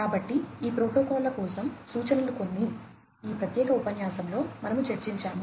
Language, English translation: Telugu, So, these are some of these references for these protocols that we have discussed in this particular lecture